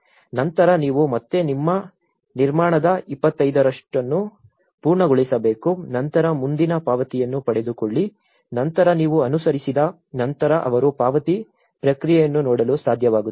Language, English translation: Kannada, Then, you again you need to finish 25% of your construction then get the payment next then you followed upon so in that way they are able to look at the payment process also